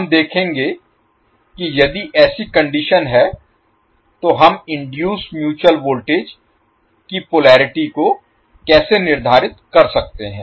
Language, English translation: Hindi, So we will see how if this is the condition how we can determine the induced mutual voltage polarity